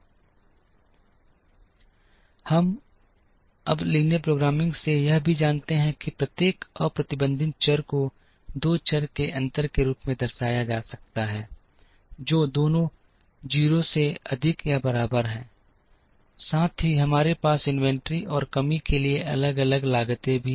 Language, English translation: Hindi, Now, we also know from linear programming, that every unrestricted variable can be represented as a difference of two variables both are greater than or equal to 0, plus we also have different costs for inventory and shortage